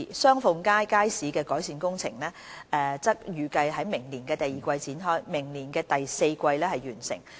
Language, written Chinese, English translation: Cantonese, 雙鳳街街市的改善工程則預計於明年第二季開展，明年第四季完成。, The improvement works for Sheung Fung Street Market are expected to commence in the second quarter of 2018 for completion in the fourth quarter of the same year